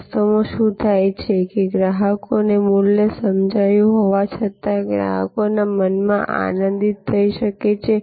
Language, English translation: Gujarati, In reality, what happens is that, even though the customers perceived value, the customer may be delighted in customers mind